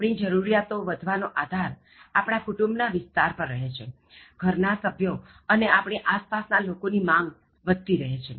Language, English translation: Gujarati, So, our needs keep increasing, depending upon the growth of the family, and the requirements of the family members and the people around us, so needs keep increasing